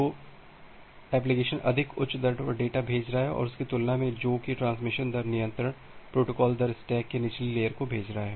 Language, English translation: Hindi, So, application is sending data at a more higher rate compared to what the transmission rate control is sending the data to the lower layer of the protocol stack